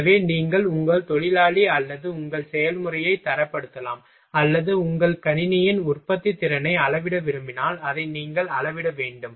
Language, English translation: Tamil, So, that you can grade your worker or your process or you can if you want to measure your productivity of your system, then you will have to measure it